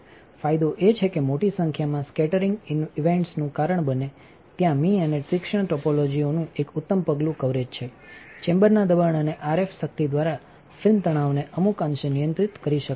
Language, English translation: Gujarati, Advantage is that there is a excellent step coverage of the sharp topologies causing large number of scattering events finally, film stress can be controlled to some degree by chamber pressure and RF power